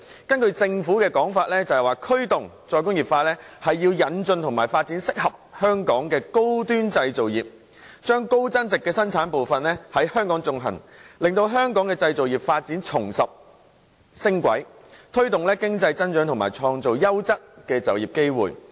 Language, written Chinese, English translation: Cantonese, 根據政府的說法，驅動"再工業化"是要引進及發展適合香港的高端製造業，將高增值的生產部分在香港進行，令香港製造業發展重拾升軌，推動經濟增長及創造優質的就業機會。, According to the Government the promotion of re - industrialization involves the introduction and development of high - end manufacturing industries suitable for Hong Kong and the carrying out of high value - added production processes in Hong Kong so as to enable Hong Kongs manufacturing industries to resume a rising trend promote economic growth and create quality job opportunities